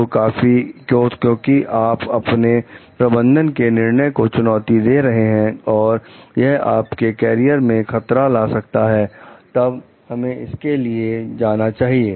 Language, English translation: Hindi, So, because if you are challenging your manager s decisions and which brings risk to your career; then we should be go for it